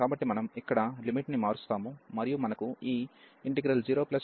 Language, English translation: Telugu, So, this we will change the limit and we will get this 0 plus to b minus a, and then f x dx